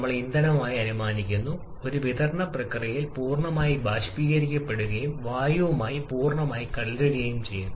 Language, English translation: Malayalam, We are assuming the fuel to be completely vaporized and perfectly mixed with air during a supply process